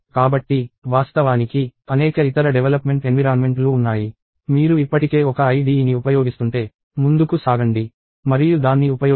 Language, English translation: Telugu, So, of course, there are several other development environments; if you are already using some IDE, go ahead and use it